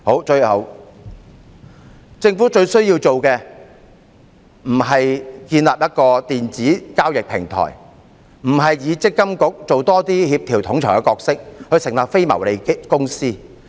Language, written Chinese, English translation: Cantonese, 最後，政府最需要做的，不是建立一個電子交易平台，不是要積金局多扮演協調統籌的角色，成立非牟利公司。, Lastly what the Government needs to do most is not to set up an electronic transaction platform require MPFA to play the role of a coordinator or set up a non - profit company